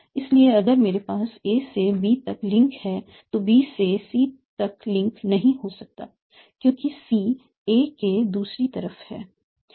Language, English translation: Hindi, So if I have a link from A to B, I cannot have a link from B to C because C is on the other side of A